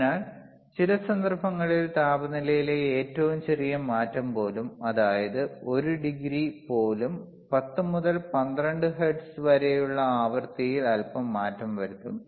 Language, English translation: Malayalam, So, in some of the cases, even the smallest change in the temperature will cause a little bit change in the frequency which is 10 to 12 hertz for 1 degree right